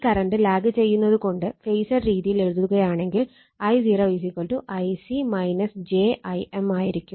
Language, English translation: Malayalam, And as this current is lagging if you write in your phasor thing that your I0 will be = actually I c minus j I m right